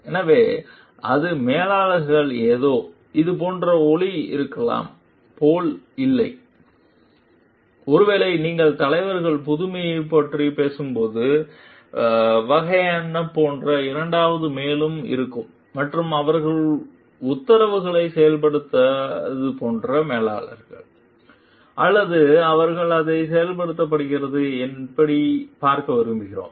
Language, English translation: Tamil, So, it is not like it may sound like manager is something, which is like it is maybe you are in second more like kind of like when you are talking of like leaders innovate and managers like they carry on the orders, or they like they see how it is executed